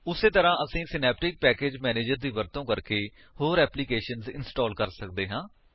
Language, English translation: Punjabi, Similarly, we can install other applications using Synaptic Package Manager